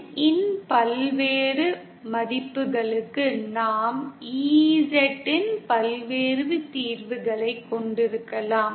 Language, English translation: Tamil, For various values of n, we can have various solutions of EZ